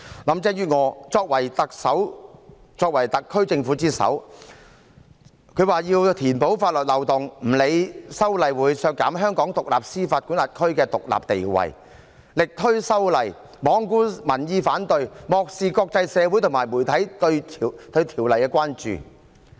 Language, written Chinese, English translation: Cantonese, 林鄭月娥作為特首、作為特區政府之首，表示要填補法律漏洞，不理會修例會削弱香港司法管轄區的獨立地位，力推修例，罔顧民意反對，漠視國際社會和媒體對修例的關注。, Being the Chief Executive the head of the Special Administrative Region SAR Government Carrie LAM indicated the need to plug the loophole in law . Disregarding the fact that the amendments would undermine the independence of the Hong Kong jurisdiction she pushed ahead with the amendment exercise neglecting the peoples opposition and turning a blind eye to the concerns of the international community and the media about the amendments